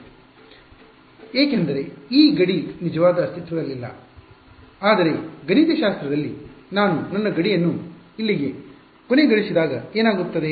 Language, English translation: Kannada, It will keep going this wave will keep going because this boundary does not actually exist, but mathematically when I end my boundary over here what will happen